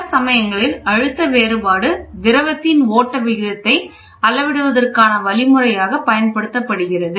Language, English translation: Tamil, Many a times, pressure difference is used as a means of measuring a flow rate of a fluid